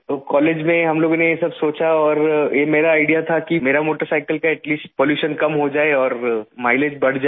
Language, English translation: Hindi, And in college we thought about all of this and it was my idea that I should at least reduce the pollution of my motorcycle and increase the mileage